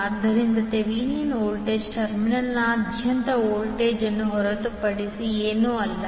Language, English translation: Kannada, So Thevenin voltage is nothing but the voltage across the terminal a b